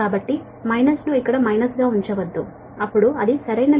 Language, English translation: Telugu, so no, dont put minus here minus, then it will mistake right